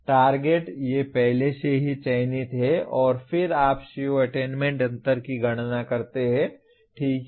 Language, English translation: Hindi, Targets, these are already selected and then you compute the CO attainment gap, okay